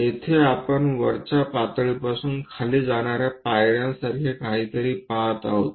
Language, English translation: Marathi, Here, there is something like a step from top level all the way to down we are seeing